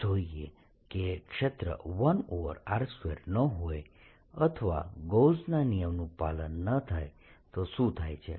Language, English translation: Gujarati, let's see what happens after that if the field is not one over r square or gauss's law is not satisfied